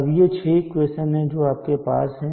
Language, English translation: Hindi, And 6 equations which you can calculate easily